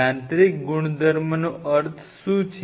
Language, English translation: Gujarati, what is meant by the mechanical property